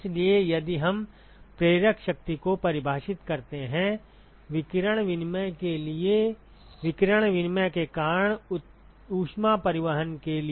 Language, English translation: Hindi, So, if we define the driving force; for radiation exchange, for heat transport due to radiation exchange